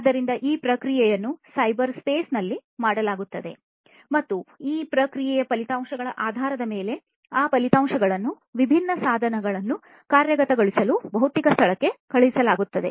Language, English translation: Kannada, So, it will be done this processing will be done in the cyberspace and based on the results of this processing those results will be sent back to the physical space for actuating different devices right